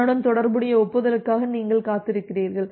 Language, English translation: Tamil, So, you are waiting for the corresponding acknowledgement